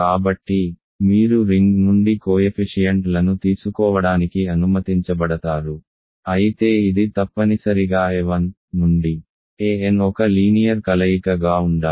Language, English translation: Telugu, So, you are allowed to take coefficients from the ring, but it must be a linear combination of a 1 to through an